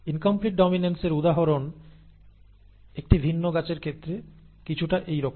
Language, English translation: Bengali, An example of incomplete dominance is something like this in the case of a different plant